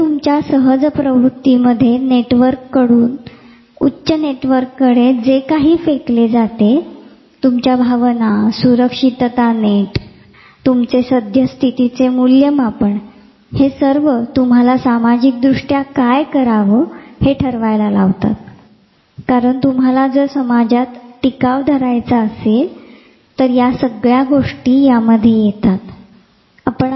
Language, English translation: Marathi, So, whatever you basic instinctual network throws your higher networks, your emotions, your safety net, your evaluation of the current situation, makes you decide what you want to do socially because, you have to survive in the society, because of your basic